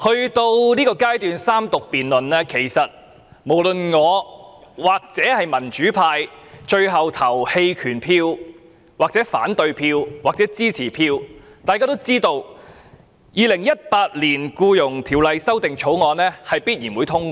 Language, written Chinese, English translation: Cantonese, 主席，到了三讀辯論階段，無論民主派最後表決棄權或反對或支持，《2018年僱傭條例草案》都必然會通過。, President we are now at the stage of the Third Reading debate . The Employment Amendment Bill 2018 the Bill will certainly be passed no matter whether the democrats will abstain from voting vote against it or vote in favour of it